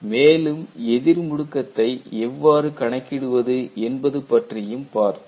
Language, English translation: Tamil, And we had looked at how retardation can be calculated